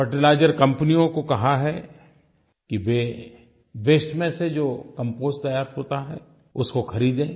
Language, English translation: Hindi, Fertilizer companies have been asked to buy the Compost made out of waste